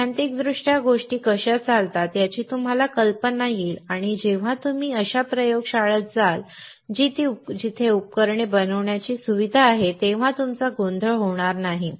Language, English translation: Marathi, Theoretically, you will have idea of how things work and when you go to a laboratory which is a facility to fabricate those devices you will not get confused